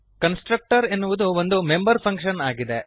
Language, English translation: Kannada, A constructor is a member function